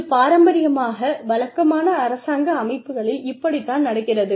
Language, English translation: Tamil, That is traditionally, what happens in typical government organizations